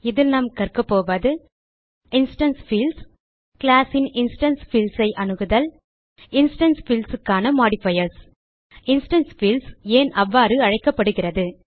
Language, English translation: Tamil, In this tutorial we will learn About instance fields To access the instance fields of a class Modifiers for instance fields And Why instance fields are called so